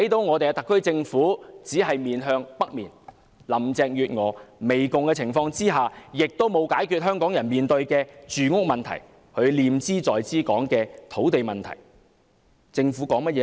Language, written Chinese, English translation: Cantonese, 我們看到特區政府只是面向北面，而在林鄭月娥媚共的情況下，香港人面對的住屋問題，就是她念茲在茲說的土地問題並無得到解決。, We see that the SAR Government is just looking to the North . Given the pandering attitude of Carrie LAM the housing problem faced by the people of Hong Kong that is the land problem she claims she is most concerned has not been solved